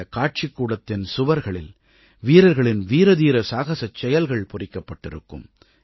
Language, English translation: Tamil, It is a gallery whose walls are inscribed with soldiers' tales of valour